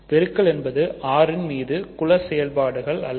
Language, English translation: Tamil, Multiplication is not a group operation on the set R